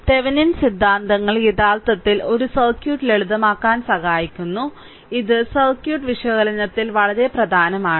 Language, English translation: Malayalam, So, Thevenin theorems actually help to simplify by a circuit and is very important in circuit analysis